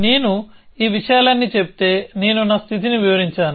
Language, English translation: Telugu, If I state all these things, I have said I have described my state